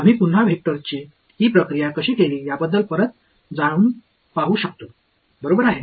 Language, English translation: Marathi, We can again go back to how we had done this process with vectors right